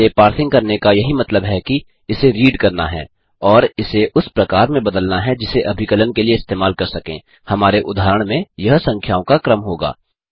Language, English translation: Hindi, Parsing this data is all about reading it and converting it into a form which can be used for computations in our case,it will be a sequence of numbers